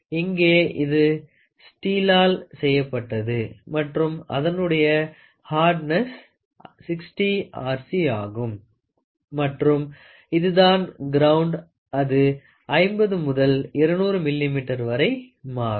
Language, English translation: Tamil, Here it is made out of steel which has a hardness of 60 Rc and then it is ground it varies from size 50 to 200 millimeter